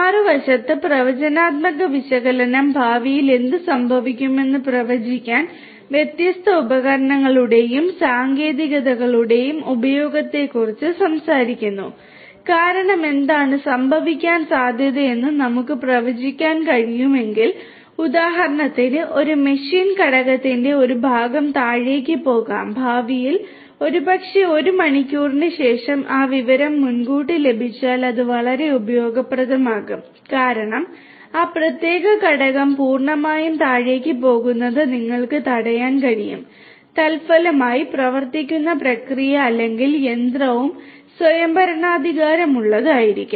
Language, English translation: Malayalam, The predictive analytics on the other hand talks about use of different tools and techniques in order to predict in the future what is likely to happen because if we can predict what is likely to happen, for example, a part of a machine component might go down in the future, maybe after 1 hour and if that information is obtained beforehand then that will be very much useful because that way you could prevent that particular component from completely going down and consequently the process or the machine that is being operated will also be autonomously taking care of you know the complete down time and will improve upon the overall efficiency